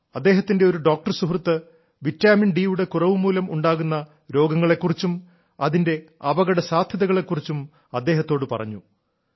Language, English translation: Malayalam, A doctor friend of Reddy ji once told him about the diseases caused by deficiency of vitamin D and the dangers thereof